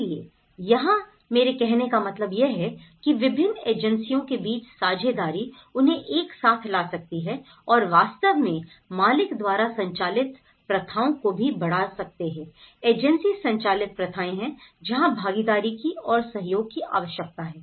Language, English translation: Hindi, So, here what I mean to say is the partnership between various agencies can bring together and can actually enhance the owner driven practices also, the agency driven practices this is where the participation is required and the cooperation is required